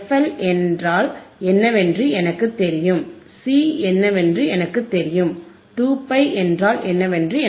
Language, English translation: Tamil, I know what is f L, I know what is C, I know what is 2 pi